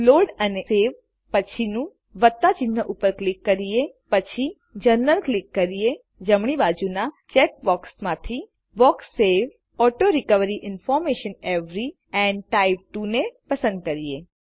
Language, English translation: Gujarati, Click on the plus sign next to Load/Savenext on Click General gtgt From the check boxes on the right gtgt Check the box Save Auto recovery information every and type 2